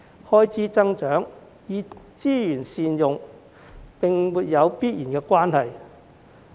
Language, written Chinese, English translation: Cantonese, 開支增長與資源善用並沒有必然的關係。, The increase in expenditure and better use of resources are not necessarily related